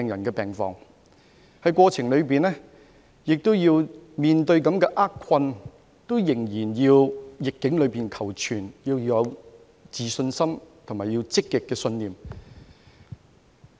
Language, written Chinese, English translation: Cantonese, 在整個過程中，即使面對厄困仍要在逆境中求存，要有自信心及積極的信念。, Throughout the process despite the adversities that they faced they still struggled hard for survival amidst the epidemic placing confidence in themselves and keeping a positive mindset